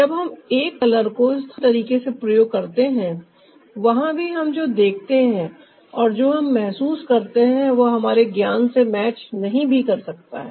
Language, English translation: Hindi, ah, when we use a color locally, ah there also what we see and what we perceive ah may not match our knowledge